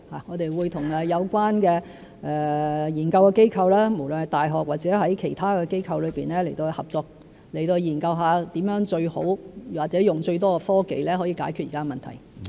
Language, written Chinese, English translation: Cantonese, 我們會與有關的研究機構，無論是大學或其他機構合作，研究如何以最好或以最多的科技解決現在的問題。, We will work with relevant research institutes be they universities or other institutes to find out how to solve existing problems with the best or the most technologies